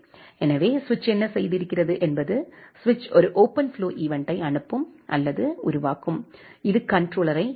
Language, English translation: Tamil, So, what the switch has done the switch will send or generate a OpenFlow event, which will reach to the controller